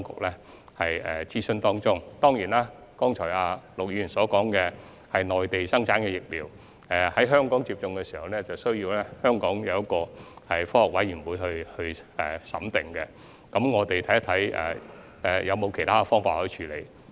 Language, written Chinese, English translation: Cantonese, 陸議員剛才談到內地生產的疫苗，若在香港接種，須由香港科學委員會審訂，我們將審視是否有其他處理方法。, As Mr LUK mentioned just now Mainland - produced vaccines have to be examined by the Scientific Committees under the Centre for Health Protection before they are rolled out in Hong Kong . We will explore whether there are alternative ways of handling